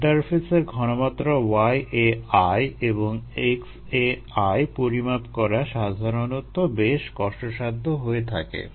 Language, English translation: Bengali, the interface concentrations y a i and x a i are usually difficult to measure